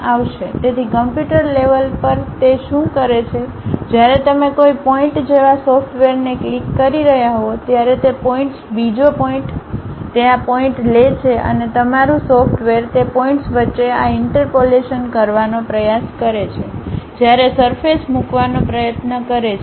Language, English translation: Gujarati, So, at computer level what it does is when you are clicking a software like pick this point, that point, another point it takes these points and your software try to does this interpolation in between those points try to put a surface